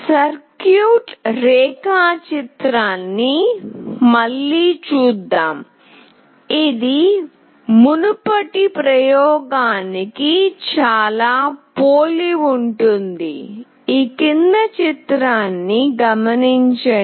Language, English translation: Telugu, Let us see the circuit diagram again, which is very similar